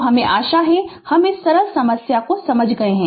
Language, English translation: Hindi, So, this is I hope I hope you have understood ah this simple problem